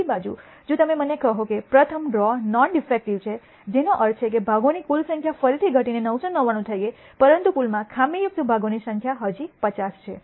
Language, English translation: Gujarati, On the other hand, if you tell me that the first draw is non defective which means the total number of parts again as reduce to 999, but the number of defective parts in the pool still remains at 50